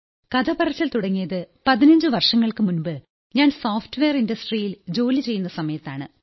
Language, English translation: Malayalam, Storytelling began 15 years ago when I was working in the software industry